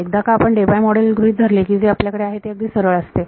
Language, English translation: Marathi, We have, once we assume the Debye model, it is just straight